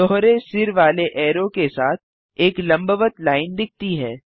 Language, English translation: Hindi, A vertical line appears along with the double headed arrow